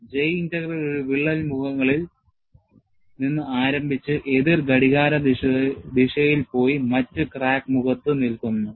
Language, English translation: Malayalam, A J Integral starts from one of the crack faces and goes in a counter clockwise direction and stops at the other crack face